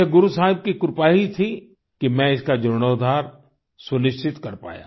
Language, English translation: Hindi, It was the blessings of Guru Sahib that I was able to ensure its restoration